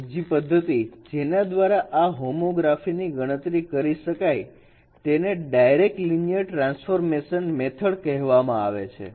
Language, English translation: Gujarati, So the other method by which this homography could be computed is called direct linear transformation method